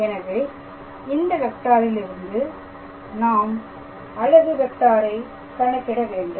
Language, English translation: Tamil, So, this is the given vector from here I have to obtain a unit vector